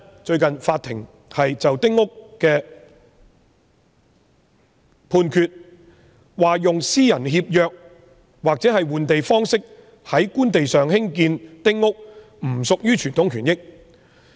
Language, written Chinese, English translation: Cantonese, 最近法庭就一宗關於丁屋的案件作判決，說用私人協約或換地方式在官地上興建丁屋不屬於傳統權益。, In a recent ruling on a case about small house concessionary rights the court ruled that construction of small houses on Government land by way of Private Treaty Grant and Land Exchange was not a traditional right